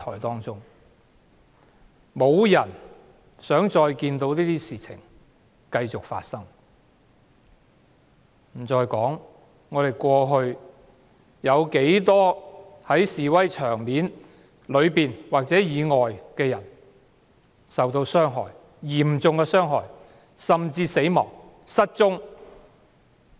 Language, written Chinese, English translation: Cantonese, 沒有人想這些事情繼續發生，遑論過去在示威現場內外有不計其數的人受嚴重傷害、死亡或失踪。, Nobody wants to see any more such incidents let alone cases of serious injuries deaths or disappearances involving numerous people inside or outside protest sites over all this time